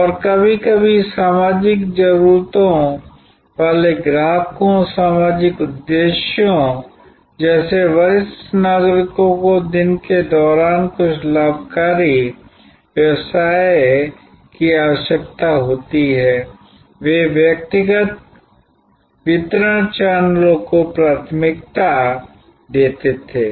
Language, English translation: Hindi, And sometimes customers with social needs, social motives like senior citizens needing to have some gainful occupation during the day would have preferred personal delivery channels